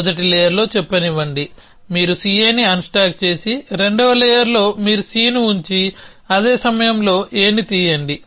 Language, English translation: Telugu, So, let say in the first layer, you unstack C A and in the second layer you put down C and pick up A at the same time